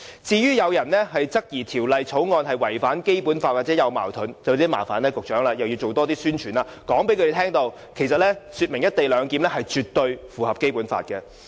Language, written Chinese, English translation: Cantonese, 至於有議員質疑《條例草案》違反《基本法》或與《基本法》有矛盾，便要麻煩局長多進行宣傳，向他們說明"一地兩檢"絕對符合《基本法》。, In view of the fact that some Members query that the Bill has violated the Basic Law or is in contravention of the Basic Law the Secretary has to make effort to conduct more publicity to convince them that the co - location arrangement is in total conformity with the Basic Law